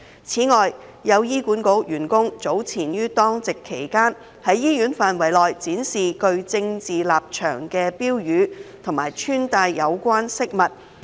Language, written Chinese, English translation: Cantonese, 此外，有醫管局員工早前於當值期間，在醫院範圍內展示具政治立場的標語及穿戴有關飾物。, Furthermore some HA staff members while on duty displayed slogans showing political stance and put on relevant accessories within the bounds of hospitals